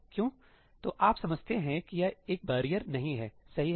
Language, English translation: Hindi, So, you understand this is not a barrier, right